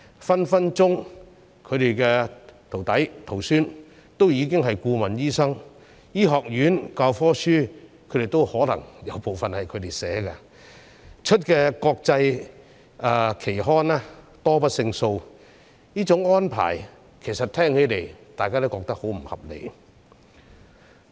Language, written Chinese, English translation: Cantonese, 他們的徒弟、徒孫隨時已經是顧問醫生，而醫學院的教科書有可能部分由他們編撰，他們在國際期刊發表的的論文亦多不勝數，這種安排大家聽起來也覺得十分不合理。, Their apprentices or the apprentices of their apprentices may already be medical consultants . These overseas doctors may have taken part in the compilation of text books used in medical schools and published numerous articles in international journals . As such the above arrangement sounds very unreasonable to us